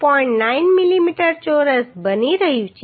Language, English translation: Gujarati, 9 millimetre square